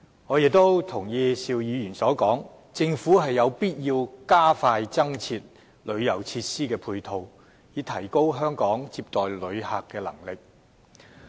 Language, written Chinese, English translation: Cantonese, 我亦認同邵議員所說，政府有必要加快增設旅遊設施的配套，以提高香港接待旅客的能力。, And I also subscribe to his view that it is imperative for the Government to expedite the provision of additional tourism supporting facilities with a view to upgrading Hong Kongs visitor receiving capability and capacity